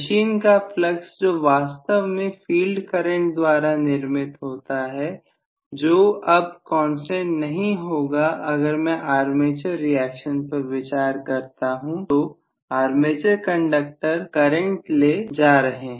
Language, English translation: Hindi, The flux of the machine which is actually produced by the field current that will not be a constant anymore, if I consider armature reactions then the armature conductors are carrying current